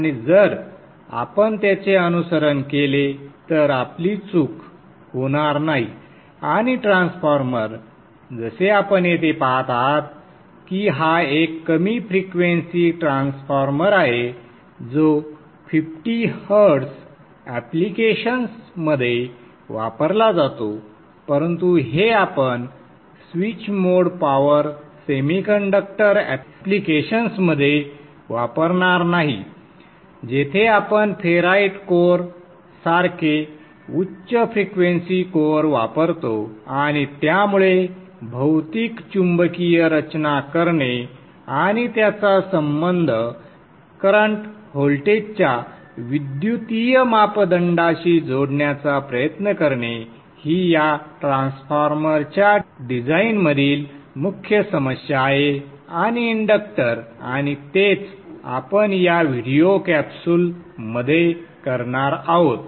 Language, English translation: Marathi, The magnetics is a topic which is generally difficult to understand because we are not able to see within the magnetics but there are a few simple rules and if we follow them we generally will not go wrong and transformers as you see here this is a low frequency transformer used in 50 hertz applications but this is not what we would use in switched mode power semiconductor applications where where we would use a high frequency core like the ferrite cores and therefore designing the physical magnetics and trying to relate it to the electrical parameters or the voltages and the current that we have been looking at till now is the main core issue in the design of this transformer and the inductor and that is what we will be doing in this video capsule